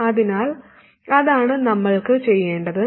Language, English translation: Malayalam, So that's what we have to do